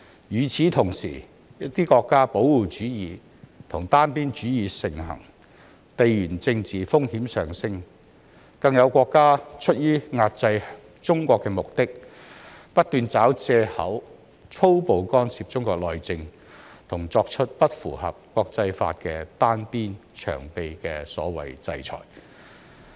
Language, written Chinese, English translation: Cantonese, 與此同時，保護主義和單邊主義在一些國家盛行，地緣政治風險上升，更有國家出於遏制中國的目的，不斷找藉口粗暴干涉中國內政，作出不符合國際法、"單邊長臂"的所謂"制裁"。, Meanwhile protectionism and unilateralism have emerged in some countries and geopolitical risk is on the rise . In an attempt to suppress China some countries even keep seeking excuses to blatantly interfere in Chinas internal affairs and impose unilateral and long - arm sanctions against the international laws